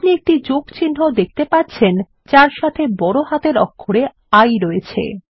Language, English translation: Bengali, You will see a plus sign with a capital I